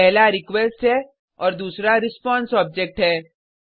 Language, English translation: Hindi, One is the request and the other is the response object